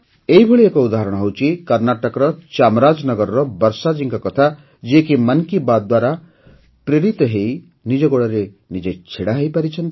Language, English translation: Odia, One such example is that of Varshaji of Chamarajanagar, Karnataka, who was inspired by 'Mann Ki Baat' to stand on her own feet